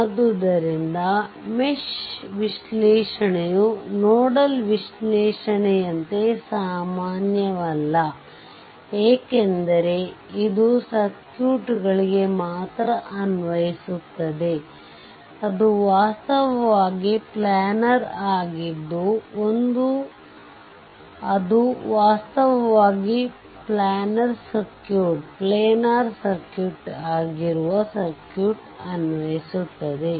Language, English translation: Kannada, So, mesh analysis is not as a general as nodal analysis because it is only applicable to circuits, that is actually planar right that is actually applicable to a circuit that is actually planar circuit right